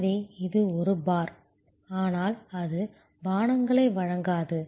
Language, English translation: Tamil, So, it is a bar, but it does not serve drinks